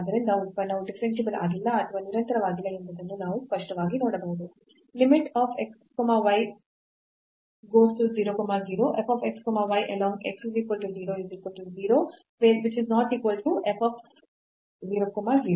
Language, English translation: Kannada, So, we can clearly see then the function is not differentiable or is not continuous